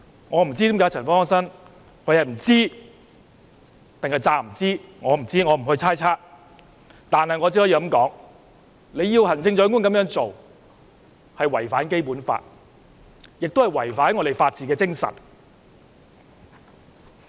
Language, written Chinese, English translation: Cantonese, 我不知，亦不會猜測，我只可以說，她要求行政長官這樣做是違反《基本法》，亦違反香港的法治精神。, I have no idea and I will not make any wild guesses . I can only say that such a request presented by her to the Chief Executive is in contravention of the Basic Law . It also runs counter to the spirit of the rule of law in Hong Kong